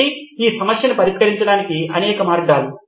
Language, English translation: Telugu, So several ways to solve this problem